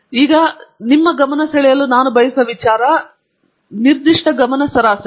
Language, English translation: Kannada, Particular attention that I want to draw your attention to is the mean